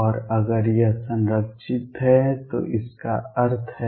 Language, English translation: Hindi, And if it is conserved, what does it mean